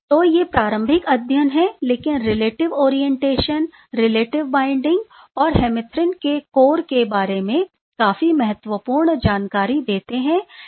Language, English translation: Hindi, So, these are early studies, but quite informative about the relative orientation, relative binding and the core of the hemerythrin ok